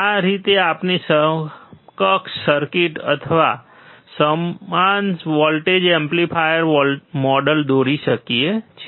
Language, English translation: Gujarati, That is how we can draw the equivalent circuit or equal voltage amplifier model